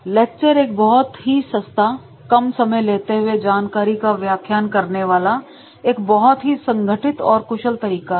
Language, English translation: Hindi, A lecture is one of the least expensive, least time consuming ways to present a large amount of information efficiently in an organized manner